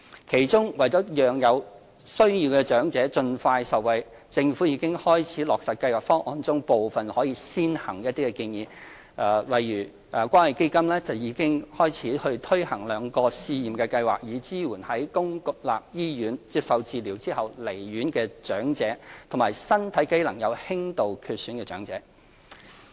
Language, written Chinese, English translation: Cantonese, 其中，為了讓有需要長者盡快受惠，政府已經開始落實《計劃方案》中部分可以先行的建議，例如關愛基金已開始推行兩項試驗計劃，以支援在公立醫院接受治療後離院的長者，以及身體機能有輕度缺損的長者。, The Government has already implemented certain recommendations which are ready to start first so that needy elderly people can benefit as soon as possible . For example the Community Care Fund has started commencing two pilot schemes supporting elderly persons discharged from public hospitals after treatment and elderly persons with mild impairment